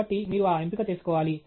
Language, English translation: Telugu, So, you have to make that choice